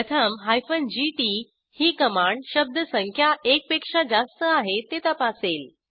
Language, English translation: Marathi, First the gt command checks whether word count is greater than one